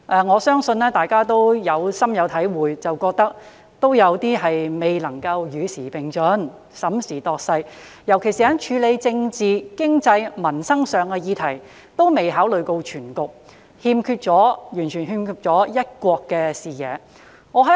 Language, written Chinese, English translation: Cantonese, 我相信大家對此感受甚深，均認為政府在這方面未能審時度勢以與時並進，尤其是在處理政治、經濟及民生議題時，均未有考慮到全局，完全欠缺"一國"視野。, I believe that Members must feel very strongly about this and are of the view that the Government has failed to take stock of the situation in order to keep abreast of the times in this regard . In particular it has failed to take into account the overall situation when tackling political economic and livelihood issues as it is completely in lack of a one country vision